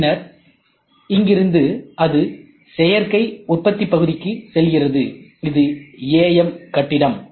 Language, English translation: Tamil, Then from here it tries to get into additive manufacturing building, this is AM building ok